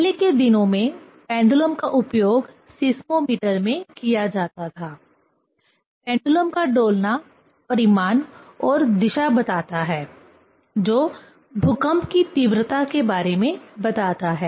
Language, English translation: Hindi, In earlier days pendulum was used in seismometer; the swings of pendulum means magnitude and direction, which tells about the intense of earthquake